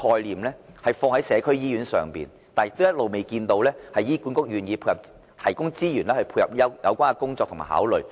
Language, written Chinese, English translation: Cantonese, 政府欲將社區醫院這概念實踐，但醫管局一直未見願意提供資源配合有關的工作。, The Government plans to implement this concept of community hospital yet HA has shown no inclination to provide resources to support the relevant work